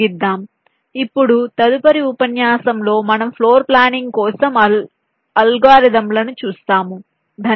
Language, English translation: Telugu, so now, next lecture, we shall be looking at the algorithms for floor planning